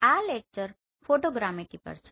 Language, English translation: Gujarati, This lecture is on Photogrammetry